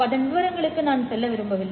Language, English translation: Tamil, I don't want to go into the details of that